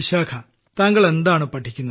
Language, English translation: Malayalam, Vishakha ji, what do you study